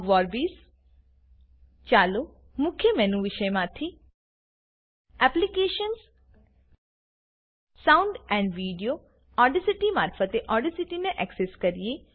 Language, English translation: Gujarati, see Lame Installation) Ogg Vorbis Lets access Audacity through the Main menu item Applications gtgt Sound and Video gtgt Audacity